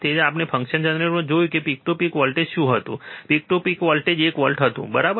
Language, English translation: Gujarati, So, we have seen in function generator what was the peak to peak voltage, peak to peak voltage was one volt, right